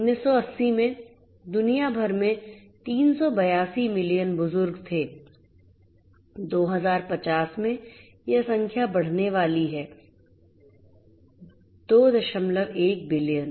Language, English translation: Hindi, In 1980, there were 382 million you know elderly persons over the world, in 2050 that number is going to grow to 2